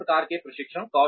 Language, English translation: Hindi, Various types of training